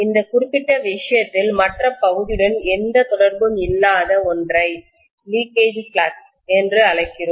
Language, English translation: Tamil, In this particular case, whatever does not link with the other member, we call that as the leakage flux